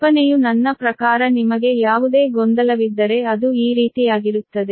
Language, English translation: Kannada, the idea is: i mean: ah, if you have any confusion, ah, it will be, it will be something like this